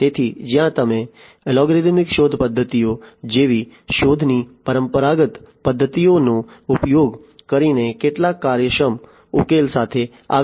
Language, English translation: Gujarati, So, where you know you cannot come up with some efficient solution using the traditional methods of search like the algorithmic search methods